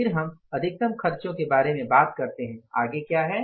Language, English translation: Hindi, Then we talk about the next expense is what